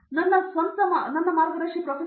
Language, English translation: Kannada, So, my guide was a Prof